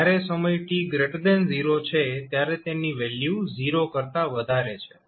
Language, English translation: Gujarati, Its value is greater than 0 when time t is greater than 0